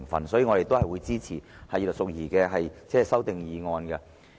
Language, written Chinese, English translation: Cantonese, 因此，我們會支持葉劉淑儀議員的修正案。, Therefore we will support Mrs Regina IPs amendment